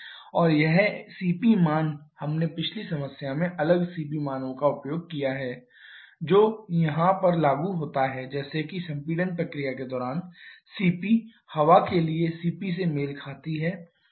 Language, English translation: Hindi, And this CP values we have used separate CP values in the previous problem same applicable here like during the compression process the CP corresponds to CP for air